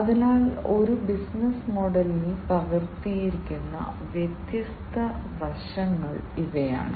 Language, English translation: Malayalam, So, these are the different aspects that are captured in a business model